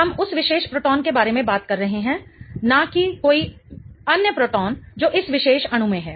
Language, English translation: Hindi, We are talking about that particular proton, not any other proton in the particular molecule